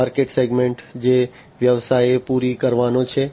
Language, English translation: Gujarati, The market segment the business is supposed to cater to